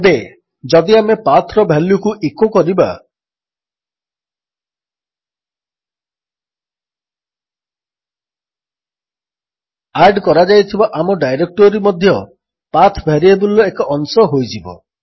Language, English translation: Odia, Now if we echo the value of PATH, our added directory will also be a part of the PATH variable